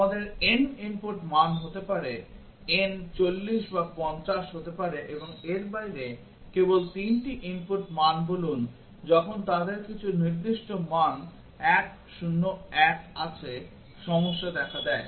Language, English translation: Bengali, We might have n inputs values n may be 40 or 50 and out of that let say only 3 input values when they have some specific values 1 0 1, the problem occurs